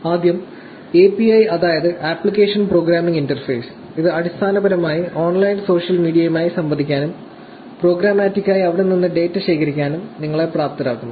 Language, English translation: Malayalam, First, API, which is Application Programming Interface; this basically enables you to interact with the online social media, programmatically, and collect data from there